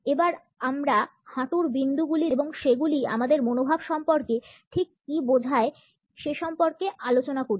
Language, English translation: Bengali, Let us look at the knee points and what exactly do they signify about our attitudes